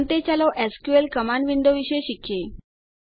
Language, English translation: Gujarati, Finally, let us learn about the SQL command window